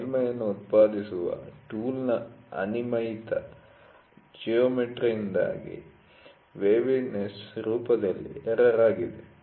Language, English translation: Kannada, Waviness is an error in form due to irregular geometries of the tool producing the surface